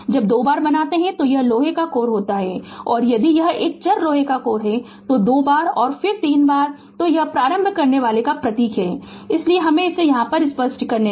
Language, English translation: Hindi, When you make 2 bar then it is iron core and if it is a variable iron core then 2 bar and then make arrow right, so this is the symbol of the inductor so let me clear it